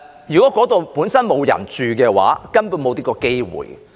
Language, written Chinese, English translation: Cantonese, 如果該處本身沒有人居住，他們根本便沒有這個機會。, If the area was not inhabited by anybody in the very first place they simply would not have any such opportunities